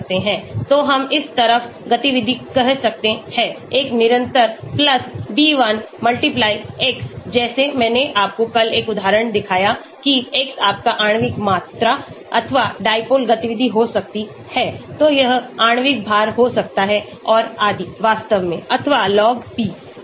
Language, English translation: Hindi, So we can have say activity on this side, one constant+b1*x, like I showed you one example yesterday with x could be your molecular volume or dipole movement so it could be molecular weight and so on actually or Log P